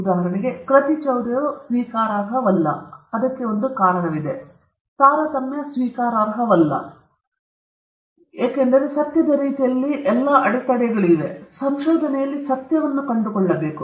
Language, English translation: Kannada, For example, plagiarism is unacceptable; there is a reason for that; or discrimination is unacceptable; there are reasons for why they are unacceptable, because they are all impediments in way of truth, finding truth in research